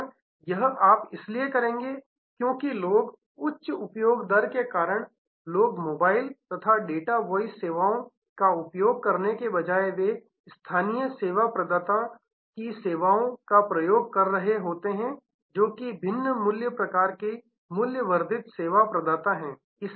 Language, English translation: Hindi, And this you will do because people, because of that high usage rate high charges for mobile and data voice usage they have been using other in a local sim’s local service providers are different other types of value added service provider